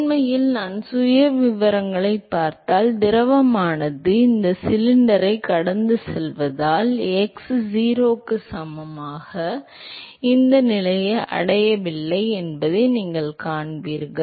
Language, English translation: Tamil, In fact, if you look at the profiles, you will see that the fluid actually never reaches this position x equal to 0 because they are actually going past this cylinder